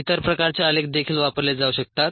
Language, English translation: Marathi, other types of plots can also be used